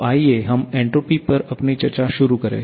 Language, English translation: Hindi, So, let us start with our discussion on entropy